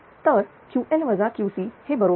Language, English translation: Marathi, So, Q will become 205